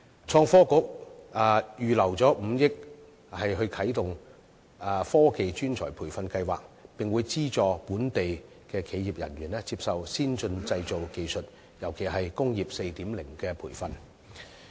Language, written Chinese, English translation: Cantonese, 創新及科技局預留5億元啟動"科技專才培育計劃"，並會資助本地企業人員接受先進製造技術，尤其是"工業 4.0" 的培訓。, The Innovation and Technology Bureau ITB has earmarked 500 million for launching the Technology Talent Scheme and local enterprises will be subsidized in training their personnel in advanced manufacturing technologies especially those related to Industry 4.0